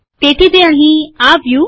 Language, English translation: Gujarati, So it has come here